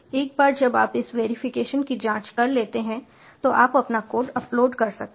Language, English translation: Hindi, once you pass this verification check, you can upload your code